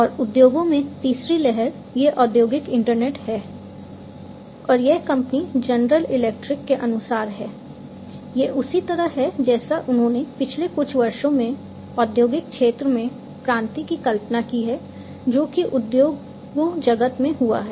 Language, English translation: Hindi, And the third wave, in the industries is this industrial internet and this is as per the company general electric, this is how they have visualized the revolution in the industrial sector over the last large number of years that industries have passed through